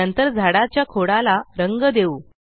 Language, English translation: Marathi, Lets color the trunk of the tree next